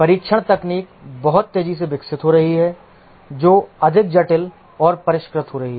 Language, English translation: Hindi, The testing techniques are evolving very rapidly, that becoming more complex and sophisticated